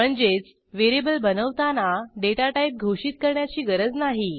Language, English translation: Marathi, It means that you dont need to declare datatype while creating a variable